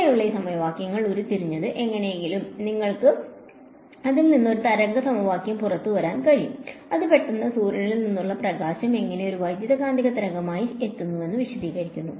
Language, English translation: Malayalam, That is how these equations were derived and somehow you are able to get out of it a wave equation which suddenly then explains to you how light from the sun reaches as its coming as a electromagnetic wave